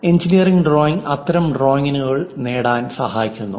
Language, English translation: Malayalam, And engineering drawing helps in achieving such kind of drawings